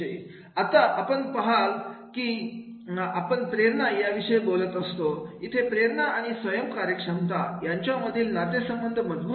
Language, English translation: Marathi, Now, you see that whenever we talk about the motivation, there is a strong relationship between the motivation and the self afficacy